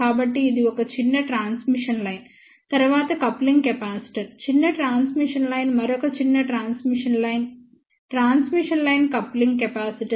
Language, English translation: Telugu, So, this is a small transmission line, then coupling capacitor small transmission line, another small transmission line, transmission line coupling capacitor